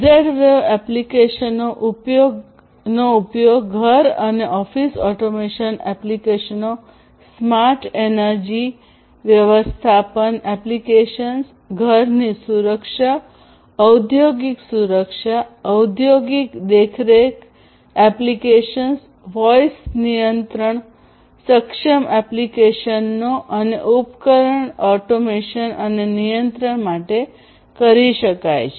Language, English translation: Gujarati, Applications where it can be used are home and office automation applications, smart energy management applications, smart security, home security, industrial security, industrial surveillance applications, voice control enabled applications, appliance automation and control, and so on